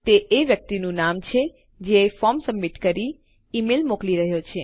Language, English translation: Gujarati, And that is the name of the person sending the email by submitting the form